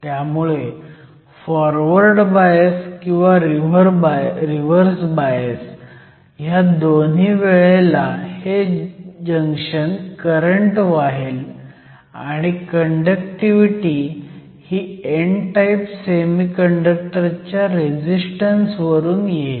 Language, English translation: Marathi, So, the junction will conduct whether you have a forward or a reverse bias and the conductivity is determined by the resistance of the n type semiconductor